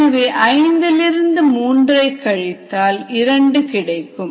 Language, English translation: Tamil, so five minus three is two